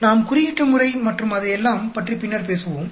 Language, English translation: Tamil, We will talk about it later, the coding and all that